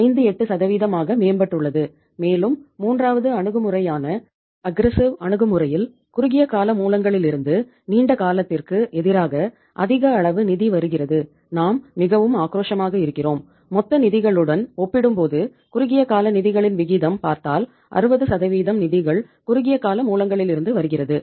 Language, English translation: Tamil, 58% and in the third approach which is aggressive approach more amount of the funds is coming from the short term sources as against the long term sources and we are so aggressive that you see that the ratio is that uh that the proportion of short term funds as compared to the total funds, 60% of the funds are coming from the short term sources